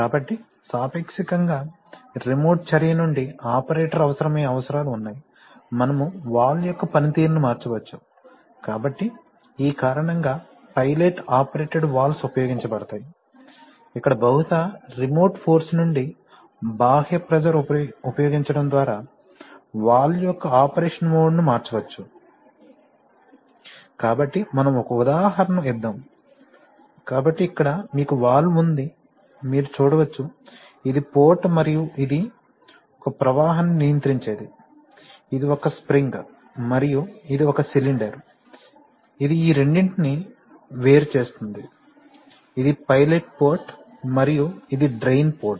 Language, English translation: Telugu, They can be, you know near the machine etc… So there are needs by which the operator from a from a relatively remote action, it can operate, you can change the mode of working of the valve, so for this reason, pilot operated valves are used where by applying an external pressure, possibly from a remote source, one can change the mode of operation of the valve, so let us give an example, so here you have a valve, you can see that the, this is the port and this is a, this is a, my, you know the member which controls the flow, this is a spring and this is a cylinder, which separates these two, this is my pilot port and this is a drain port